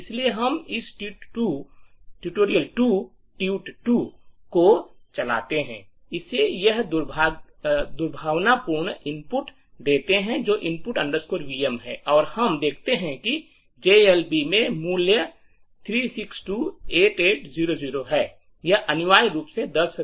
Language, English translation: Hindi, So, we run this tutorial 2, give it this malicious input, which is input vm and we see that the value in GLB is 3628800, this essentially is the value for 10 factorial are which you can actually verify